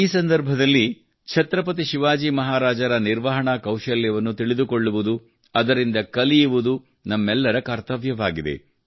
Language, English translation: Kannada, It is the duty of all of us to know about the management skills of Chhatrapati Shivaji Maharaj on this occasion, learn from him